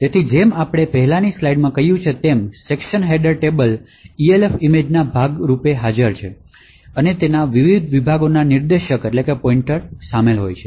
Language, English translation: Gujarati, So, as we said in the previous slide the section header table is present as part of the Elf image and it contains pointers to the various sections